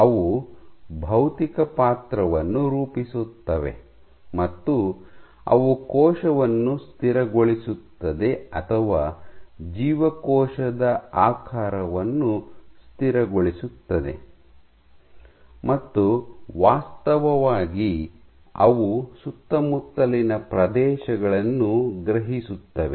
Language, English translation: Kannada, So, they form the physical role that is stabilize the cell or stabilize cell shape, and actually they are the ones which actually sense the surroundings